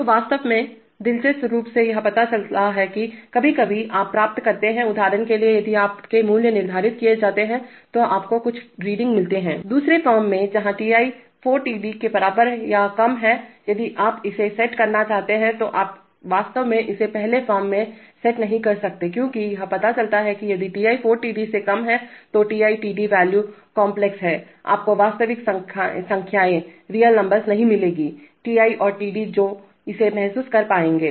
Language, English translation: Hindi, So, on, in fact interestingly it turns out that sometimes you get, you get, you get absurd readings for example if you set some value in the second form where Ti’ is less than equal to 4Td’ if you want to set it, you actually cannot set it in the first form because it turns out that that if Ti’ is less than 4Td’ then Ti, Td values are complex, they are not, they are not, you would not get real numbers, Ti and Td which will be able to realize this